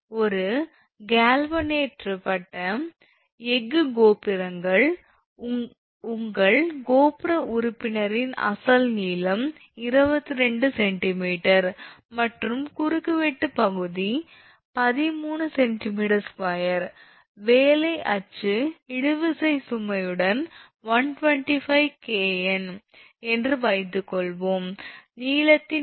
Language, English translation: Tamil, Suppose a galvanized steel towers meant your tower member has original length of 22 centimeter and cross sectional area 13 centimeter square with working axial tensile load of 125 kilo Newton, the change in length was 0